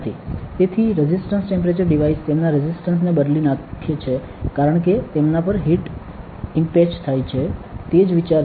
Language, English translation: Gujarati, So, resistance temperature devices change their resistance as heat is impeached on them that is the idea